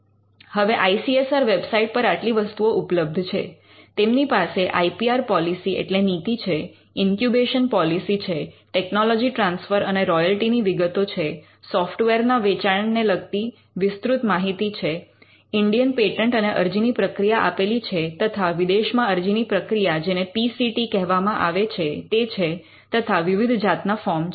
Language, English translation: Gujarati, They have the IPR policy, they have an incubation policy, they have tech transfer and royalty details, they have detailed with regard to sale of software, they have procedure for filing and Indian patent, procedure for filing foreign application what you call the PCT and they have different forms